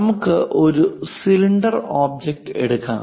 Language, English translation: Malayalam, Let us take a cylindrical object, this one